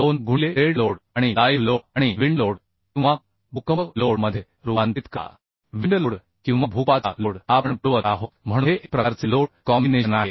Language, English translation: Marathi, 2 into dead load plus live load plus wind load or earthquake load either wind load or earthquake load we are providing so this is one sort of load combination Another load combination is say 1